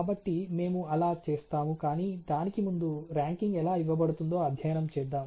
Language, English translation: Telugu, So, we will we do that, but before try to that lets actually study how the ranking is done